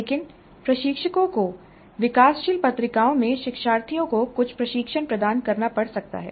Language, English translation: Hindi, But instructors may have to provide some training to the learners in developing journals